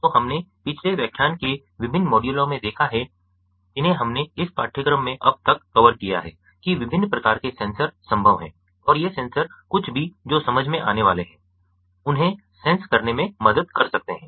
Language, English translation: Hindi, so we have seen in the previous lectures, in the different modules that we have covered so far in this course, that different types of sensors are possible and these sensors can help in sensing whatever they are supposed to sense